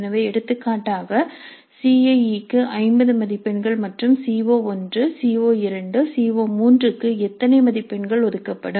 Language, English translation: Tamil, So we have for example 15 marks for CIA and how many marks would be allocated to CO1, CO2, CO3 etc